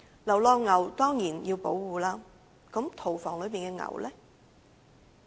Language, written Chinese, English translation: Cantonese, 流浪牛當然要保護，那麼屠房內的牛呢？, There is no doubt that stray cattle should be protected but how about cattle in the slaughterhouses?